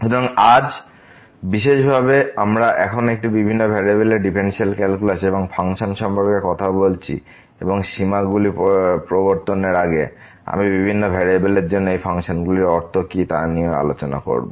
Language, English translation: Bengali, So, today in particular we are talking about now the Differential Calculus and Functions of Several Variables and before I introduce the limits, I will also discuss what type of these functions we mean for the several variables